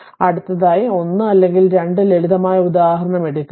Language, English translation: Malayalam, So, next take a 1 or 2 simple example